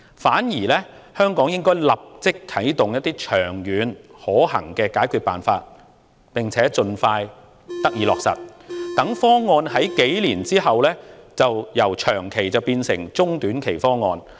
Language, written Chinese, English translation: Cantonese, 反之，香港應該立即啟動長遠可行的解決辦法，並且盡快落實，讓方案在數年後由長期變為中短期方案。, Instead Hong Kong should put the long - term feasible solutions into action immediately and implement them as soon as possible so that the proposal can turn from a long - term one into a medium - term or short - term one after a few years